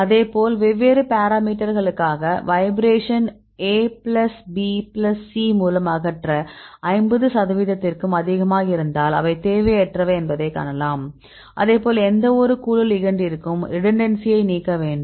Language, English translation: Tamil, Likewise we do for the different parameters and we use it to remove the vibration right a by a plus b plus c right then if it is more than 50 percent right then you can see they are redundant likewise you need to remove the redundancy for any group of ligands